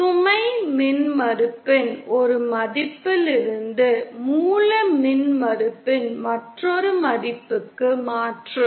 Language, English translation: Tamil, A transfer from one value of load impedance to another value of source impedance